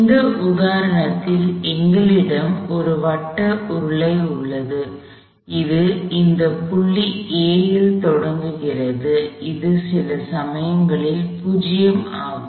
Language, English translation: Tamil, Again we have this case is circular cylinder, that is starting at this point A, that was this point A at some time instance 0